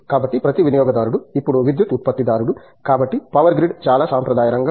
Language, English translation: Telugu, So, each consumer is now producer of electricity also, so going from the power grid which is a traditional, very traditional area